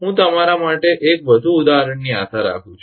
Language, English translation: Gujarati, I hope one more example for you